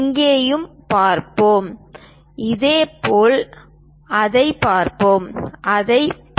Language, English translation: Tamil, Let us also look at here, similarly let us look at that; let us look at that